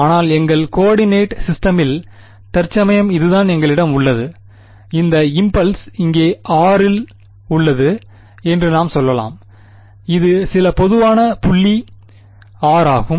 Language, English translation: Tamil, But in your in our coordinate system right now this is what we have let us say this is our impulse is here at r prime and this is some general point r